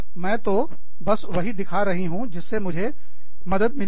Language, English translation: Hindi, I am just, you know, i am showing you, what helps me